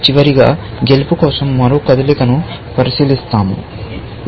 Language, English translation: Telugu, Finally, we look at one more move for win, which is this